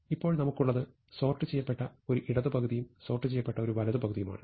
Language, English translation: Malayalam, So, we have the left half sorted, the right half sorted